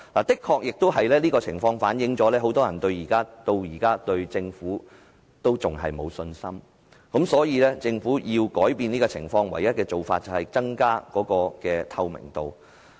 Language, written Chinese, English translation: Cantonese, 這正好反映現時很多人對政府仍然沒有信心，所以政府必須改變這種情況，而唯一的做法便是增加透明度。, This certainly reflects peoples lack of confidence in the Government . Therefore it is necessary for the Government to reverse the situation and the only way is to enhance transparency